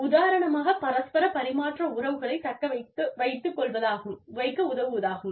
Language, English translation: Tamil, For example, to help the mutual exchange relationships